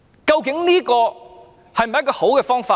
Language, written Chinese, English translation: Cantonese, 究竟這是否一種好方法？, Is this a good way to resolve problems?